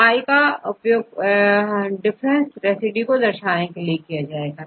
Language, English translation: Hindi, So, here i stands for the 20 different residues right